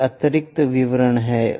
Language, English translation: Hindi, These are additional details